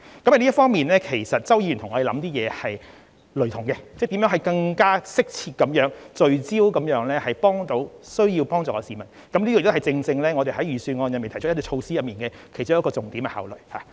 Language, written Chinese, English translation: Cantonese, 在這方面，周議員的想法與我們是相同的，就是考慮如何更加適切和聚焦地幫助需要幫忙的市民，這亦正正是我們在預算案中提出措施時的重點考慮。, Mr CHOW and the Government are like - minded here . We are both concerned about how to help people in need in a more appropriate and focused manner . And this was also our major consideration when we proposed the measures in the Budget